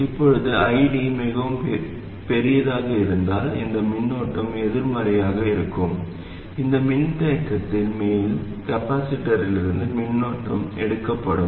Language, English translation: Tamil, Now if ID is too large, that is, ID is larger than I 0, then this current will be negative, current will be drawn out of the top plate of this capacitor